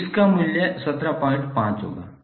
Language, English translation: Hindi, So the value of this would be 17